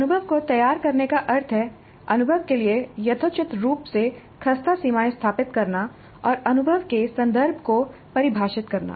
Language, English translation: Hindi, So framing the experience means establish reasonably crisp boundaries for the experience and define the context for the experience